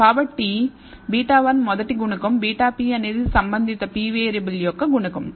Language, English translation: Telugu, So, beta 1 is the first coefficient, beta p is the coefficient corresponding pth variable